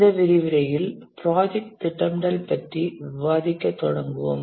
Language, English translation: Tamil, Welcome to this lecture to discuss about project scheduling